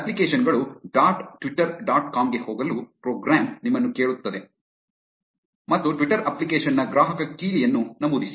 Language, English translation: Kannada, The program will prompt you to go to apps dot twitter dot com and enter the consumer key of a Twitter application